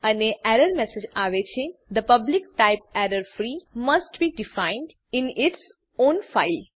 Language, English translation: Gujarati, And error message reads The public type errorfree must be defined in its own file